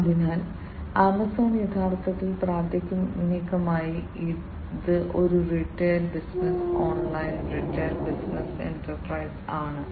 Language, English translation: Malayalam, So, Amazon is originally primarily, it is a retail business online retail business enterprise